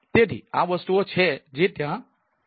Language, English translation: Gujarati, so these are the things which are ah there